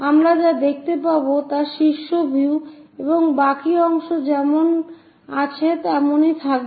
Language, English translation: Bengali, this is the top view what we will see and the rest of that as it is